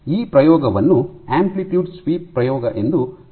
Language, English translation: Kannada, So, this experiment is called an amplitude sweep experiment